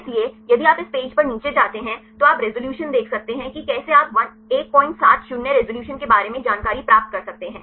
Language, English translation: Hindi, So, if you go down to this page right, you can see the resolution how for you can get the information about the 1